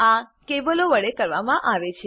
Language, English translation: Gujarati, This is done using cables